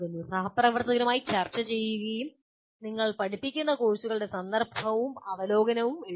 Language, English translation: Malayalam, Discuss with colleagues and write the context and overview of the courses that you teach